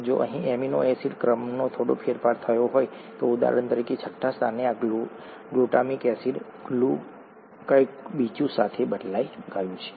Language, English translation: Gujarati, If there is a slight change in the amino acid sequence here, for example this glutamic acid, at the sixth position, has been replaced with something else